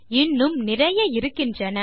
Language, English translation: Tamil, There are more